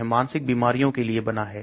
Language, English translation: Hindi, This is meant for psychotic disorders